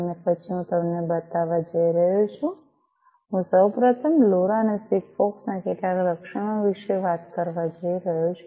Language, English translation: Gujarati, And then I am going to show you; you know, so I am going to first talk about some of these features of LoRa and SIGFOX